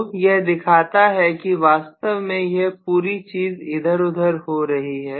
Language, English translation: Hindi, So this shows actually this entire thing going around and things like that